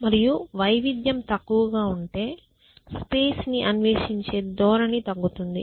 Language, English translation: Telugu, And if the diversity becomes less it means your tendency to explore the space decreases essentially